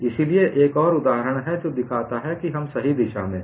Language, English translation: Hindi, So, this is another example which shows we are on the right direction